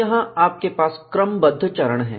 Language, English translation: Hindi, Here, you have a sequence of steps